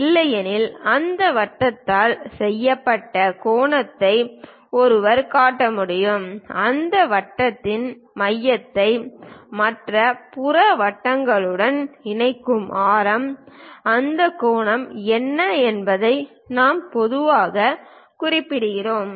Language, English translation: Tamil, Otherwise, one can really show angle made by that circle, the radius connecting center of that circle to other peripheral circle, what is that angle also we usually mention